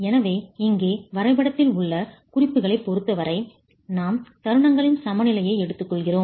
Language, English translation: Tamil, So with respect to the the notations in the drawing here, we take the central, we take the equilibrium of moments